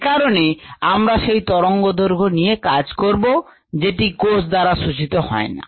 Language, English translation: Bengali, so we would like to work with wavelengths that are not absorbed by the cell